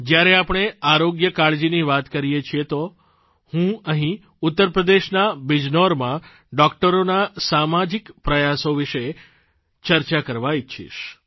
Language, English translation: Gujarati, Since we are referring to healthcare, I would like to mention the social endeavour of doctors in Bijnor, Uttar Pradesh